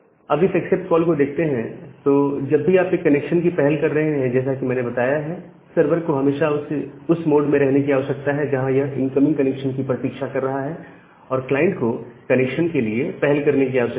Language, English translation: Hindi, Now, this accept call whenever you are initiating a connection as I have mentioned that the server need to always in the mode where it is waiting for any incoming connection and the clients need to initiate the connection